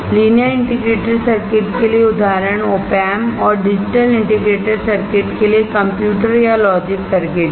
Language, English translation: Hindi, Example for linear integrated circuits is operational amplifier and for digital integrated circuit is computers or logic circuits